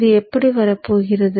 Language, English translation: Tamil, How does this come about